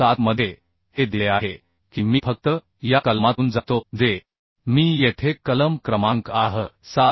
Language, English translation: Marathi, 7 it is given I will just go through this clause which I have written here The clause number is 7